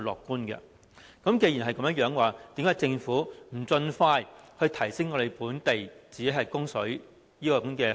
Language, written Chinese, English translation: Cantonese, 既然如此，為甚麼政府不盡快提升自我供水的能力？, That being the case why does the Government not increase the local water supply capacity as soon as possible?